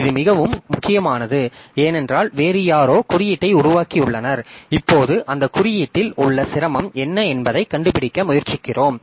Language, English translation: Tamil, So, this is very important because somebody else have developed the code and now we are trying to find the what is the difficulty with that code